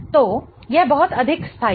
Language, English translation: Hindi, So, this is much more stable